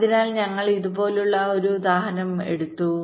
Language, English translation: Malayalam, ok, so we take an example